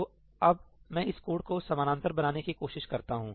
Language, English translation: Hindi, So, now, let me try to parallelize this code